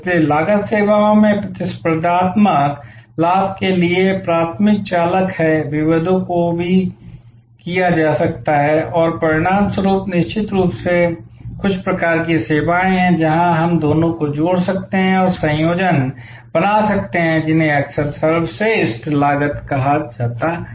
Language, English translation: Hindi, So, cost is the primary driver for competitive advantage in services, differentiations can also be done and as a result there are of course, certain types of services, where we can combine the two and create combinations which are often called best cost